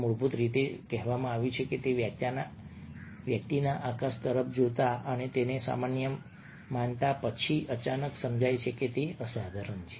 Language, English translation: Gujarati, what, when told, is of an experience of a person looking at the sky and considering it ordinary and then suddenly realizing that it is extraordinary